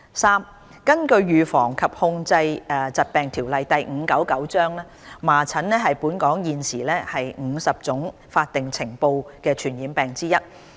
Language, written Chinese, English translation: Cantonese, 三根據《預防及控制疾病條例》，麻疹是本港現時50種法定須呈報的傳染病之一。, 3 According to the Prevention and Control of Disease Ordinance Cap . 599 measles is one of the 50 statutory notifiable infectious diseases in Hong Kong